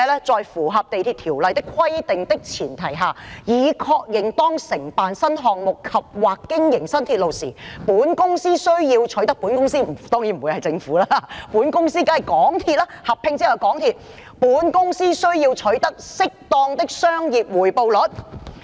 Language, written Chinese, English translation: Cantonese, "在符合《地鐵條例》的規定的前提下，已確認當承辦新項目及/或經營新鐵路時，本公司"——當然不會是政府，而是合併後的港鐵公司——"需要取得適當的商業回報率。, Subject to the MTR Ordinance it is acknowledged that when undertaking New Projects andor operating New Railways the Company―of course it would not be the Government but MTRCL after the merger―will require an appropriate commercial rate of return